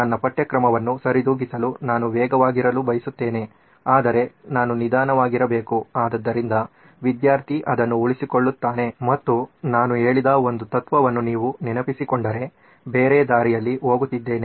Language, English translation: Kannada, I want to be fast so that I can cover my syllabus but I have to be slow so that the student retains it and if you remember one of the principles I said was going the other way round